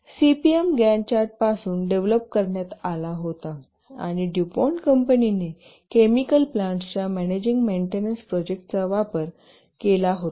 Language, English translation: Marathi, The CPM was developed from Gant Chet and was used by the company DuPont in its chemical plants for managing maintenance projects of chemical plants